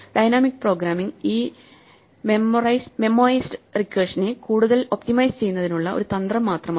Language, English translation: Malayalam, So, dynamic programming is just a strategy to further optimize this memoized recursion